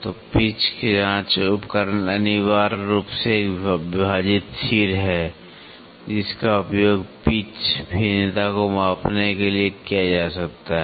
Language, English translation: Hindi, So, the pitch checking instrument is essentially a dividing head that can be used to measure the pitch variation